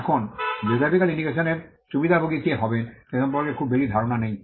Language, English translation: Bengali, Now, there is not much idea in Who will be the beneficiary of a geographical indication